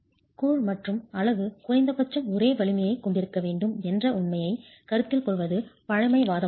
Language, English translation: Tamil, It is conservative considering the fact that the grout and the unit are required to have at least the same strength